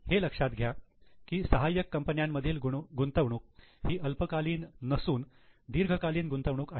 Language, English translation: Marathi, See, investment in subsidiary is not a short term investment